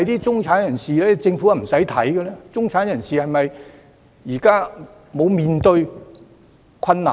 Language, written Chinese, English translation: Cantonese, 中產人士現時是否無須面對困難呢？, Does the middle class not need to face difficulties now?